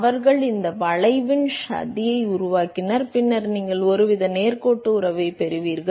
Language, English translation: Tamil, And they made a plot of this curve, and then you get some sort of a straight line relationship